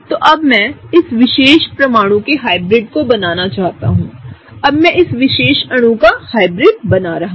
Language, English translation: Hindi, So, now I want to draw the hybrid of this particular atom; now I want to draw the hybrid of this particular molecule